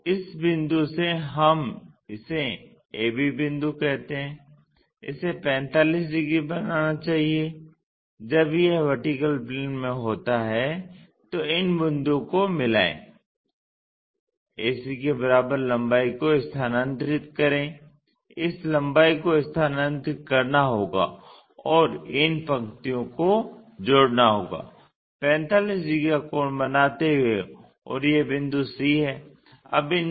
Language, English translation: Hindi, So, from this point let us call a, b point it is suppose to make 45 degrees when it is in the vertical plane join these points, transfer the same length a to c this length has to be transferred and connect these lines and this is making 45 degrees angle and this point is c